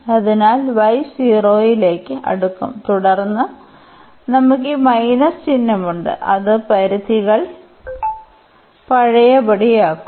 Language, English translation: Malayalam, So, y will approach to 0 and then we have this minus sign so, which will revert the limits